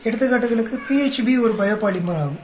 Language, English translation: Tamil, For examples PHB is a biopolymer